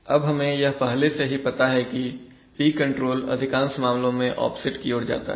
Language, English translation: Hindi, So let us first look at the P control, now we already know that p control leads to offsets in most cases